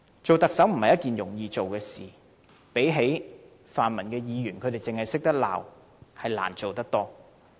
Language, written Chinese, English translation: Cantonese, 當特首不是一件容易的事情，相比泛民議員只懂得責罵，特首實在難做得多。, It is not easy to be the Chief Executive . It is much more demanding to be the Chief Executive than being a pan - democratic Member whose only duty is to condemn others